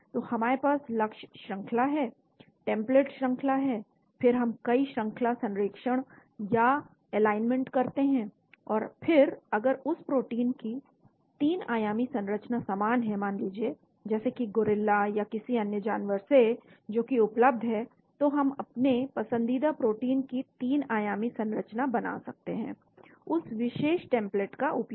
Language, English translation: Hindi, So we have the target sequence, template sequence, then we do multiple sequence alignment, and then if the 3 dimensional structure of that protein say, like a gorilla or some other animal is available , then we prepare the 3 dimensional structure of our protein of interest using that particular template